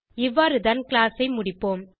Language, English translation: Tamil, This is how we close the class